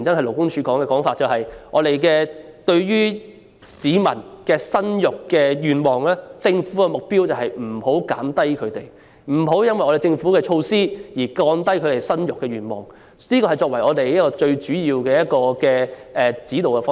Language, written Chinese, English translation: Cantonese, 勞工處過去的說法是，對於市民生育子女的意欲，政府的目標是不讓其下降，亦即避免因政府的措施而降低市民生育子女的意欲，這是最主要的指導方針。, LD has been emphasizing in the past that as far as the aspiration for childbearing was concerned the Governments objective was to avoid dampening it . In other words it would avoid taking any measures which would cause people to give up their aspiration for childbearing and this was the major guiding principle